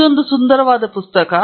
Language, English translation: Kannada, It’s a beautiful book